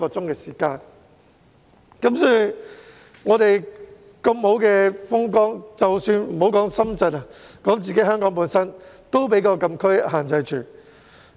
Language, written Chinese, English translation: Cantonese, 即使有如此美好的風光，莫說要前往深圳，連前往香港的地方也受到禁區的限制。, Even though these places boast beautiful scenery there are restrictions on travelling there―not in Shenzhen but in Hong Kong―because they are closed areas